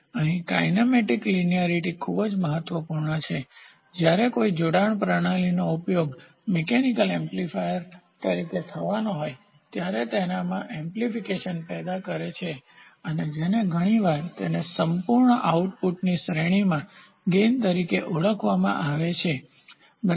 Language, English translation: Gujarati, So, here kinematic linearity is very important when a linkage system is to be used as a mechanical amplifier, it should be designed in such a way that it provides the small amplification which is often termed as gain over its entire range of output, ok